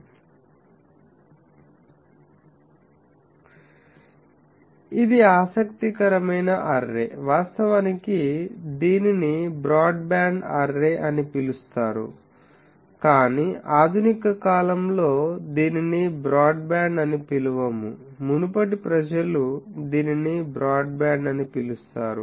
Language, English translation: Telugu, This is a interesting array, actually it is called broadband array, but in modern times we do not call it broadband, earlier people use to call it broadband